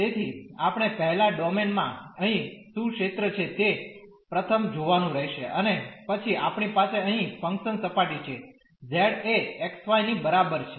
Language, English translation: Gujarati, So, we have to first see what is the region here in the domain, and then we have the function surface here z is equal to x y